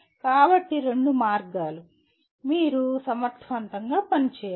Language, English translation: Telugu, So both ways you have to work effectively